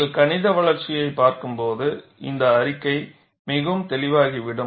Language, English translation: Tamil, When you look at the mathematical development, this statement would become quite clear